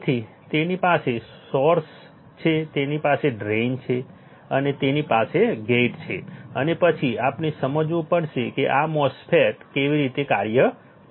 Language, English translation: Gujarati, So, it has source it has drain it has gate right and then we have to understand how this MOSFET will operate